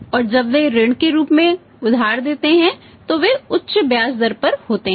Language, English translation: Hindi, And when the lend as a loan which are high rate of interest